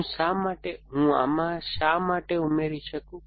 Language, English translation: Gujarati, Why can I, why can I add to this